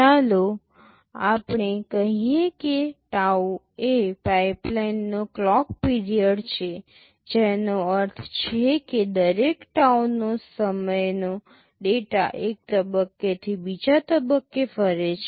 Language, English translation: Gujarati, Let us say tau is the clock period of the pipeline, which means, every tau time data moves from one stage to the other